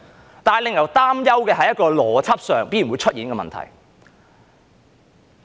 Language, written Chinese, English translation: Cantonese, 可是，令人擔憂的是在邏輯上必然會出現這個問題。, But it is worrying that logically this problem is set to arise